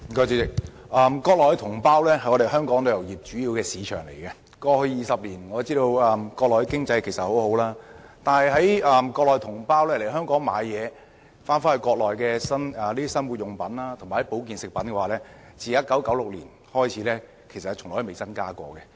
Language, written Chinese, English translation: Cantonese, 主席，國內的同胞是香港旅遊業主要的吸納對象，我知道過去20年，國內的經濟發展蓬勃，國內同胞經常來港購買生活用品和保健食品，但他們可攜回內地的物品數量及價值上限，由1996年至今一直未有增加過。, President the Mainland compatriots are the main targets of Hong Kongs tourism industry . In the past 20 years the economy of the Mainland has developed robustly and Mainland compatriots often come to Hong Kong to buy daily necessities and health food products but the restrictions on the quantities and values of products that may be brought back to the Mainland have not been raised since 1996